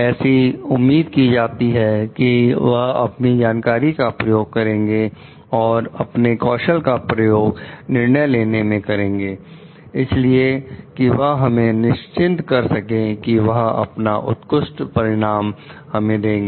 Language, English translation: Hindi, It is expected that they will use their knowledge and skills for taking this decisions so that they can assure us that they are going to deliver us the best outcome